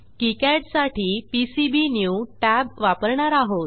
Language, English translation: Marathi, For kicad we will use Pcbnew tab